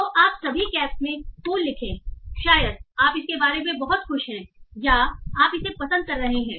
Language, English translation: Hindi, So you write cool in all caps, probably you are very happy about it